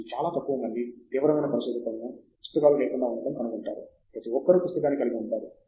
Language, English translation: Telugu, You will find very few serious researchers, who do not have a notebook, everybody has a notebook